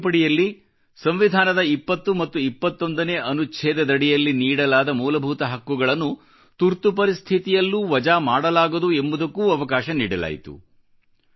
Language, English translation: Kannada, This amendment, restored certain powers of Supreme Court and declared that the fundamental rights granted under Article 20 and 21 of the Constitution could not be abrogated during the Emergency